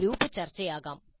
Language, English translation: Malayalam, It could be group discussion